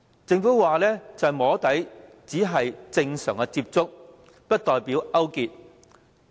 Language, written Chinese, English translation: Cantonese, 政府聲稱"摸底"只是正常接觸，不代表勾結。, The Government claims that soft lobbying is a kind of normal contact and does not imply collusion